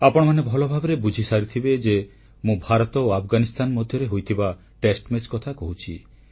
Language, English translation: Odia, Of course you must have realized that I am referring to the test match between India and Afghanistan